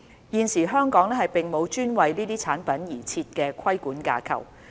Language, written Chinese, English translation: Cantonese, 現時香港並無專為這些產品而設的規管架構。, At present there is no dedicated regulatory framework for ATPs in Hong Kong